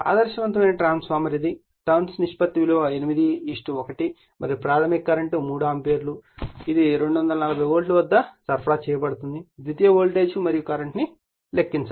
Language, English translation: Telugu, An ideal transformer it is turns ratio of 8 is to 1 and the primary current is 3 ampere it is given when it is supplied at 240 volt calculate the secondary voltage and the current right